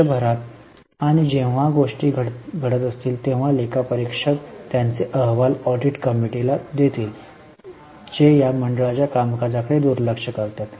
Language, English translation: Marathi, Are you getting during the year as and when the things are happening, the auditors will provide their reports to audit committee who are overlooking the functioning of the board